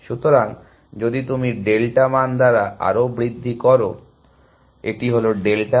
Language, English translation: Bengali, So, if you increase further by a value delta, this is delta